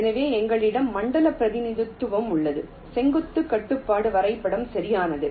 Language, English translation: Tamil, ok, so we have the zone representation, we have the vertical constraint graph, right, so we have identified this zones